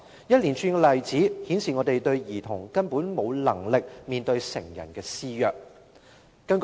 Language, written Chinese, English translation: Cantonese, 一連串的例子顯示兒童根本無能力面對成人施虐。, A series of examples demonstrate that children are absolutely powerless in the face of abuse by adults